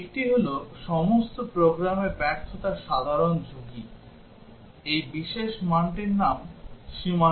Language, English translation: Bengali, One is a general risk of failure applicable across all programs; the name of this special value is boundary value